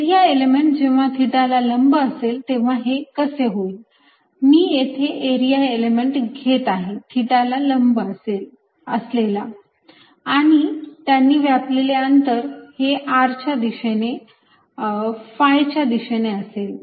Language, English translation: Marathi, if i am taking an area element perpendicular to theta, the distances covered are going to be in the r direction and in phi direction